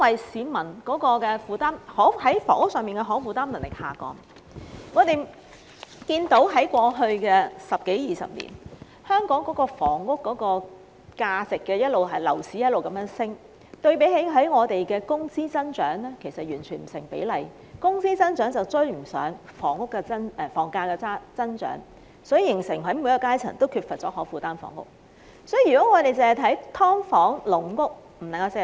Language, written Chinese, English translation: Cantonese, 市民負擔房屋的能力下降，是由於過去十多二十年間，香港的房價和樓市不斷上升，相對於我們的工資增長而言，根本不成比例，工資增長追不上房價增長，於是便形成每個階層也缺乏可負擔房屋。, Peoples housing affordability has deteriorated over the past decade or two because of the spiralling property prices and the continually booming property market in Hong Kong which are relative to our wages growth utterly out of proportion . The rise in house prices has outpaced our wages growth thus resulting in a scarcity of affordable housing for people at each stratum